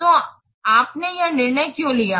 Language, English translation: Hindi, So, why you have taken this decision